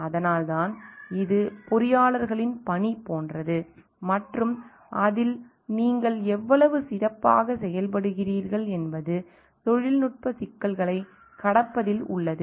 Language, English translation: Tamil, So, that is why it is role like the job of the engineers and how good you are in it lies in overcoming the technical complexities